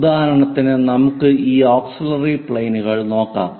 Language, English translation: Malayalam, For example, let us look at this auxiliary planes